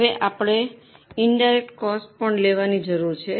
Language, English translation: Gujarati, Now we need to charge this indirect cost also